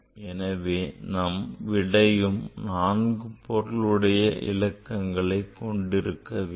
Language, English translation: Tamil, So, this number has 4 significant figures